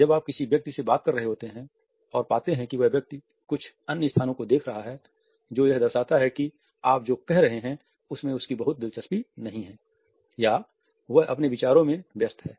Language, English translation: Hindi, While you are talking to a person and you find that the other person is looking at some other places which indicates that he or she might not be very interested in what you are saying or is busy in one’s own thoughts